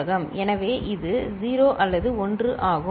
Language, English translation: Tamil, So, it is 0 or 1